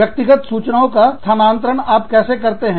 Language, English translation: Hindi, How do you transfer, that personal data